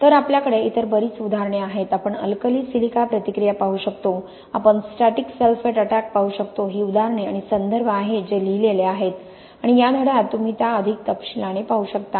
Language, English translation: Marathi, So we have got lots of other examples, we can look at alkali silica reaction, we can look static sulphate attack these are examples the references are written there and also in the chapter you can look into those in more detail